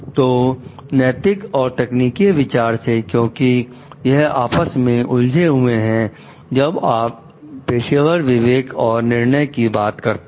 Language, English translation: Hindi, So, ethical and technical considerations become like intermingle with each other, when you are talking of professional discretion and judgment